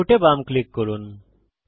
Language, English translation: Bengali, Left click Input